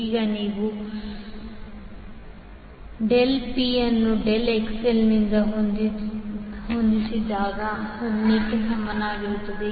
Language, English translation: Kannada, Now if you, when you set del P by del XL is equal to 0